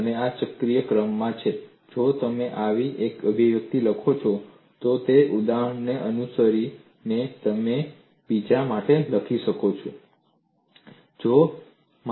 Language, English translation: Gujarati, And this is in a cyclic order; if you write one such expression, following that example you could write for the other